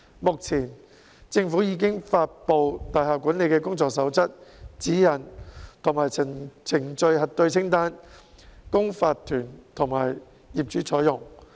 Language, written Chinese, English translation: Cantonese, 目前，政府已發布大廈管理的工作守則、指引及程序核對清單，供法團及業主採用。, At present the Government has published Codes of Practice guidelines and a checklist on procedural propriety on building management for adoption by owners corporations and owners